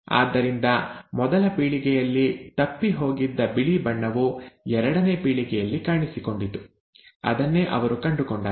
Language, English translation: Kannada, So the white colour which was missed in the first generation made an appearance in the second generation; that is what he found